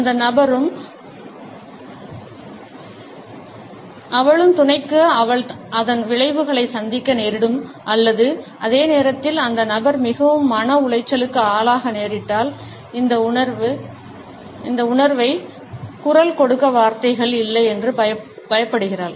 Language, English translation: Tamil, The person is afraid that if she and sub saying that she may have to face repercussions of it or at the same time the person is feeling so distressed that she does not have words to vocalise this feeling